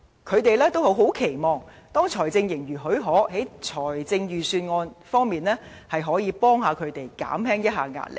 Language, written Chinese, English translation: Cantonese, 他們很期望，當財政盈餘許可，在財政預算案方面，可以協助他們，讓他們減輕壓力。, They eagerly wish that the Government can help them and alleviate their pressure through the Budget when the balance of fiscal surplus allows